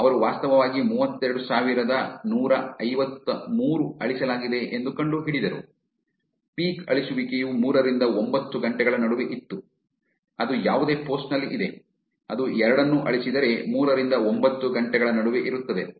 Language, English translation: Kannada, They actually found that 32153 was deleted, peak deletion was between 3 and 9 hours, which is any post on, if it is was both get deleted is between 3 to 9 hours